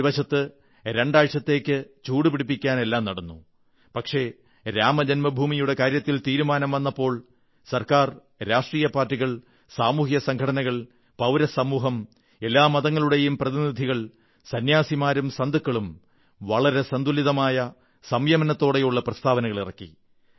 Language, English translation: Malayalam, On the one hand, the machinations went on to generate tension for week or two, but, when the decision was taken on Ram Janmabhoomi, the government, political parties, social organizations, civil society, representatives of all sects and saints gave restrained and balanced statements